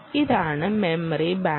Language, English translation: Malayalam, ok, this is the memory bank